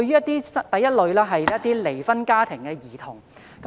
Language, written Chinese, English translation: Cantonese, 第一類是離婚家庭的兒童。, Concerning The first category is children from divorced families